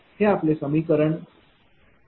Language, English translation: Marathi, So, this is equation is 80